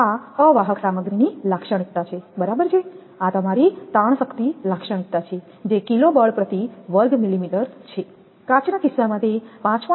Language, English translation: Gujarati, This is the characteristic of insulating materials right, this one is your characteristic tensile strength this is kg force per millimeter square, in the case of glass it is 5